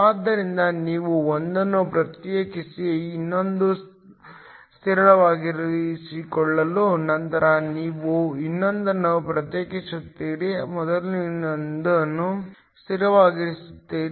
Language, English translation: Kannada, So, you differentiate one, keeping the other constant; then you differentiate the other, keeping the first one constant